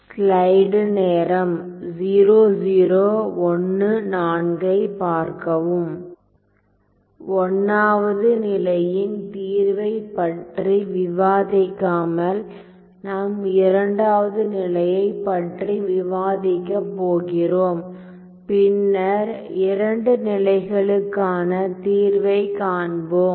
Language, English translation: Tamil, So without discussing the solution to this 1st case I am going to discuss the 2nd case and then come back to the solution to both the cases